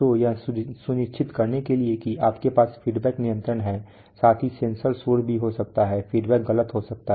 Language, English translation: Hindi, So to ensure that you have an, you have feedback control right, plus there may be a sensor noise also there is feedback may be erroneous